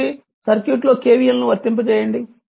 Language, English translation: Telugu, So, apply KVL in the circuit